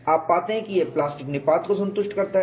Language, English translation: Hindi, You find it satisfies plastic collapse